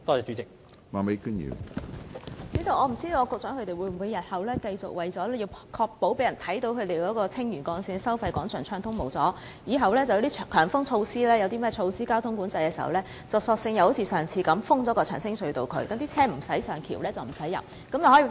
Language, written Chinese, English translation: Cantonese, 主席，我不知道局長會否為了繼續讓人看到收費廣場一帶交通暢通無阻，以後每逢實施強風交通管制等措施，便索性像上次那樣封閉長青隧道，不准車輛上橋和進入隧道。, President I am not sure whether the Secretary will as he did last time close the Cheung Tsing Tunnel in future to deny vehicle access to the bridge and the tunnel whenever traffic measures like high wind traffic management are in force so as to present to the public that traffic in the vicinity of the Toll Plaza is smooth